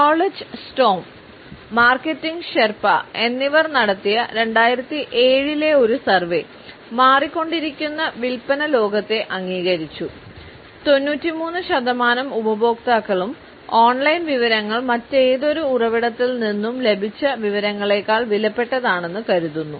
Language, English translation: Malayalam, A 2007 survey, which was conducted by Knowledge Storm and Marketing Sherpa, acknowledged the changing sales world and it found that 93 percent of the customers felt that online information was almost as valuable as information which they receive from any other source